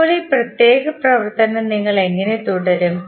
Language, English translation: Malayalam, Now, how we will carry on this particular operation